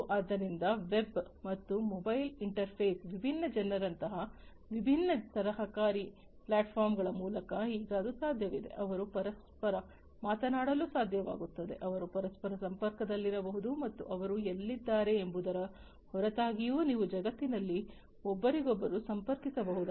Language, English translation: Kannada, So, now it is possible through different collaborative platforms, such as web and mobile interface different people, they would be able to talk to one another they can remain connected to one another and irrespective of where they are located in the world they you can connect to one another